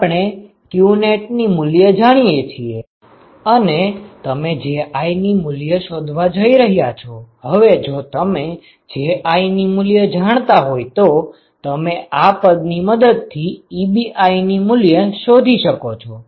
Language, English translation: Gujarati, So, we know qnet you are going to find Ji now if you know Ji you know Ebi from this expression